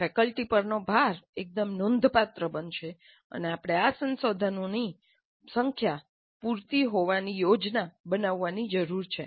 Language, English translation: Gujarati, So the load on the faculty is going to be fairly substantial and we need to plan to have these resources adequate in number